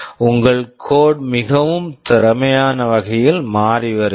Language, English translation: Tamil, Your code is becoming so much more efficient